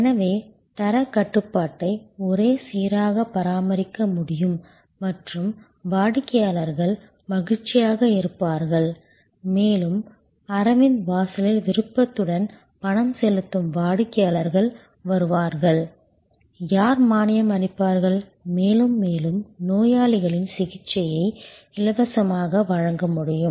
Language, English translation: Tamil, So, therefore, quality control can be uniformly maintained and customers will be happy, there will be willingly paying customers coming at Aravind door step more and more, who will subsidize, more and more patients whose care can be provided therefore, free of charge and that is why to Dr